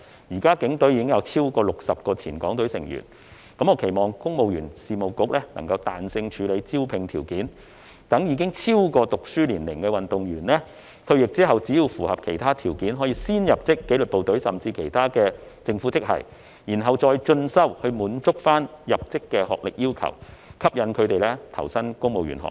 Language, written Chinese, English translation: Cantonese, 現時警隊已有超過60名前港隊成員，我期望公務員事務局能夠彈性處理招聘條件，讓已超過就學年齡的運動員在退役後只要符合其他條件，便可先入職紀律部隊甚或政府其他職系，然後再進修以滿足學歷要求，從而吸引他們投身公務員行列。, Currently there are already over 60 former Hong Kong team athletes in the Hong Kong Police Force . I look forward that the Civil Service Bureau can be flexible with the recruitment criteria so that athletes beyond school age may as long as they meet other conditions join the disciplined forces or even other grades in the Government first after retirement with subsequent pursuit of further studies to satisfy the requirement on academic attainment thereby attracting them to join the civil service